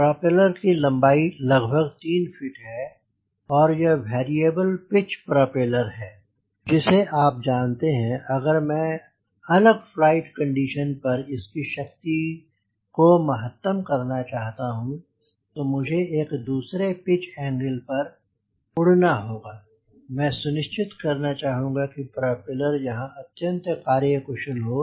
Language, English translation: Hindi, propeller length is around three feet and also you know that this is a variable pitch propeller, which you know also that if i want to maximize the power at different flight condition, so i have to fly at a different, different pitch angle i need to ensure that the propeller is highly efficient at that point